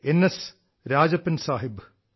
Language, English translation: Malayalam, S Rajappan Sahab